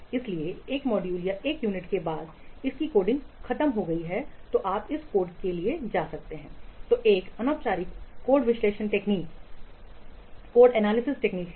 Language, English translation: Hindi, So, after one module or one unit its coding is over, then you can go for this code workthrough, which is an informal code analysis technique